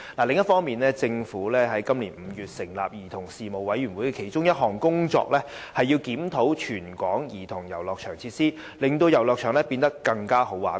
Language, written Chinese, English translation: Cantonese, 另一方面，政府於今年5月成立的兒童事務委員會的其中一項工作，是檢討全港兒童遊樂場的設計，令遊樂場變得"更好玩"。, On the other hand one of the tasks of the Commission on Children which was established by the Government in May this year is to review the designs of childrens playgrounds throughout the territory with a view to making playgrounds more interesting